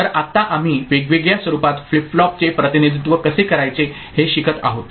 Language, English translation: Marathi, So, right now we are learning how to represent flip flops in various forms, through various representations